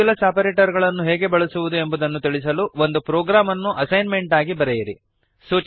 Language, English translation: Kannada, As an assignment: Write a program to demonstrate the use of modulus operator